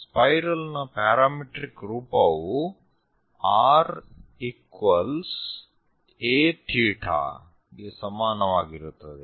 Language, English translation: Kannada, And the parametric form for spiral is r is equal to a theta